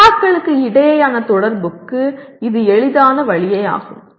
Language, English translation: Tamil, It is easy way to communication between, communication between the peers